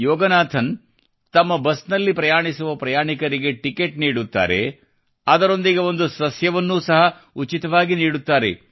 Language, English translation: Kannada, Yoganathanjiwhile issuing tickets to the passengers of his busalso gives a sapling free of cost